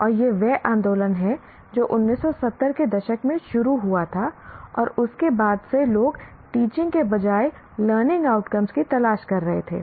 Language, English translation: Hindi, And this is a movement that started in 1970s and from then onwards people are looking for the learning outcomes rather than the teaching